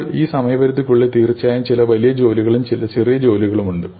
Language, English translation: Malayalam, Now, in this time frame there are of course some bigger jobs and some smaller jobs